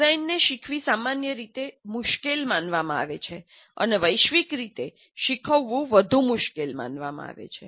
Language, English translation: Gujarati, Design is generally considered difficult to learn and more universally considered difficult to teach